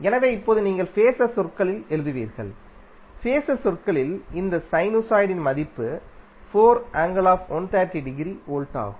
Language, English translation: Tamil, So now what you will write in phaser terms, the phaser terms, the value of this sinusoid is 4 angle 130 degree volt